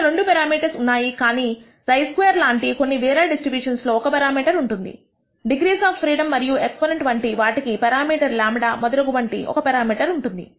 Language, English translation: Telugu, There is only there are two parameters, but other distributions such as chi squared may have one parameter such as the degrees of freedom and exponent will have one one parameter such as the parameter lambda and so on so forth